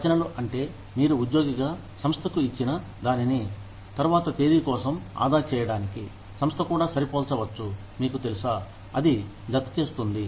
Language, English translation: Telugu, Contributions constitute, what you gave as an employee, to the organization, to save up for a later date, that the organization may also match, you know, that just adds up